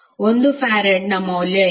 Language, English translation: Kannada, What is the value of 1 farad